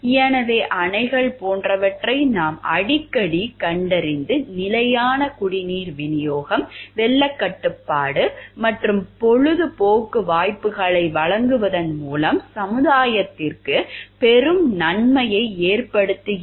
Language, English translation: Tamil, So, what we find like dams often lead to great benefit to society by providing stable supplies of drinking water, flood control and recreational opportunities